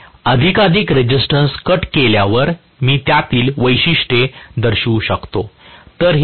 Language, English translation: Marathi, As I cut off more and more resistance, I can show the characteristics in between